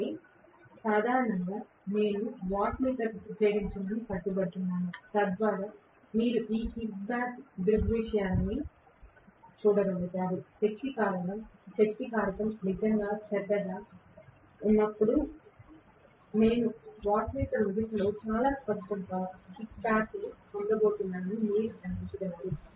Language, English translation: Telugu, So, generally I insist on using to wattmeter so that you guys are able to see these kicking back phenomena, it is important to see that only then you are going to realize that when the power factor is really bad I am going to get very clearly a kicking back in 1 of the wattmeter